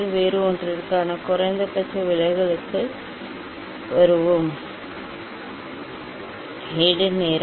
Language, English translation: Tamil, Then let us come for the minimum deviation for different one